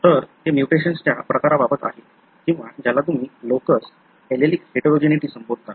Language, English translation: Marathi, So, that is with regard to the type of mutations or what you call as locus, allelic heterogeneity, sorry